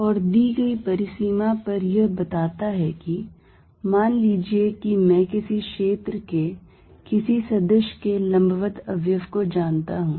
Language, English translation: Hindi, And what it states is given a boundary, suppose I know the perpendicular component off a field any vector field at the boundary